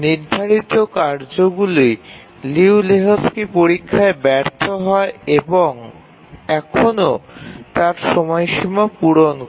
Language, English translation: Bengali, There are a task set fails Liu Lejou Lehchki's test and still meet its deadlines